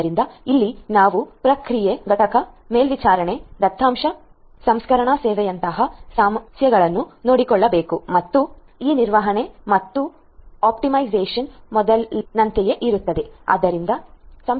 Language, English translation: Kannada, So, here we have to take care of issues such as process unit monitoring, data processing service and again this management and optimization stays the same like the ones before